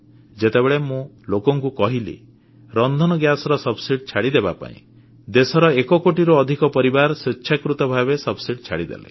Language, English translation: Odia, When I asked the people to give up their cooking gas subsidy, more than 1 crore families of this country voluntarily gave up their subsidy